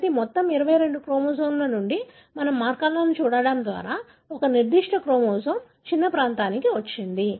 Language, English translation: Telugu, So, from all the 22 chromosomes we have come to a small region of a particular chromosome by looking at markers